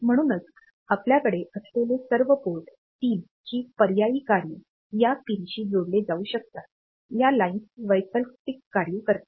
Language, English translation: Marathi, So, all those port 3 alternate functions that we have; so, they can be connected to this pins; this lines alternate functions